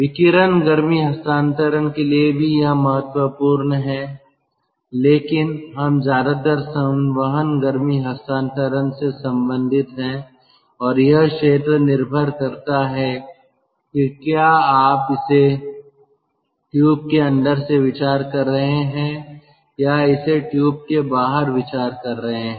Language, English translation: Hindi, radiative heat transfer also, it is important, but we are mostly concerned with convective heat transfer and that area depends whether you are considering it from inside of the tube or considering it outside the tube